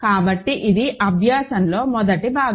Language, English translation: Telugu, So, this is the first part of the exercise